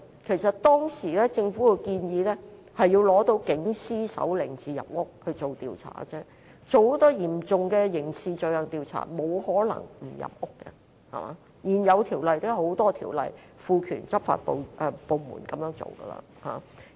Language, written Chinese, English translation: Cantonese, 其實政府當時的建議是，要取得警司手令才能入屋進行調查，因為如要就嚴重刑事罪行進行調查是沒有可能不入屋，而且也有很多現有法例賦權執法部門這樣做。, Actually the Government proposed at that time that a search warrant issued by a police superintendent should be obtained for entering and searching a domestic premises . As far as the investigation of a serious crime was concerned it was impossible for the police not to enter a premises . Besides a lot of current ordinances would empower law enforcement agencies to do it